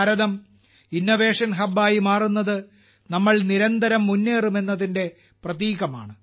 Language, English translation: Malayalam, India, becoming an Innovation Hub is a symbol of the fact that we are not going to stop